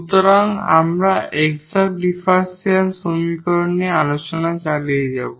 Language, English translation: Bengali, So, we will continue discussing Exact Differential Equations